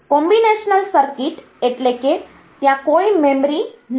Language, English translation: Gujarati, So, combinational circuit means there is no memory